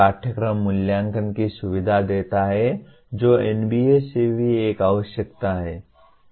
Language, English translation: Hindi, Facilitates curriculum evaluation which is also is a requirement from NBA